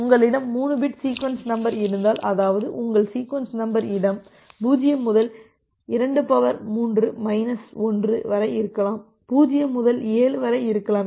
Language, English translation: Tamil, So, if you have a 3 bit sequence number, that means, your sequence number space can be from 0 2 to the power 3 minus 1, that means, from 0 7